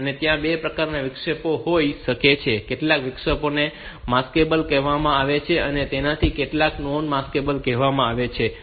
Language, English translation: Gujarati, There can be two types of interrupts some of the interrupts are called maskable and some of them are called non maskable